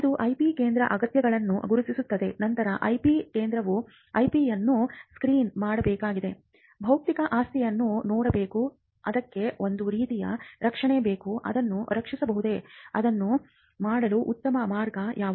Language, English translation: Kannada, So, identifying is something that the IP centre needs to do, then the IP centre needs to screen the IP, look at the intellectual property, what kind of protection is required for it, whether it can be protected, what is the best way to do it